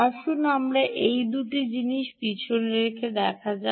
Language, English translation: Bengali, let us just put back these two things